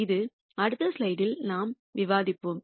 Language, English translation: Tamil, It is something that that we will discuss in the next slide